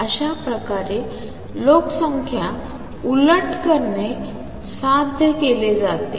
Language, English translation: Marathi, So, this is how population inversion is achieved